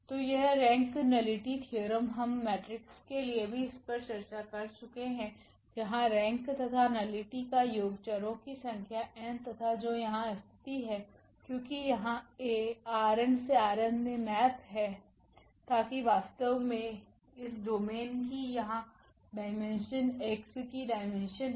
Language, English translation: Hindi, So, this rank nullity theorem we have also discussed for matrices where rank plus nullity was the number of variables n which is here in this case that is because this A maps from R n to R m; so that exactly the dimension of this domain here the dimension of X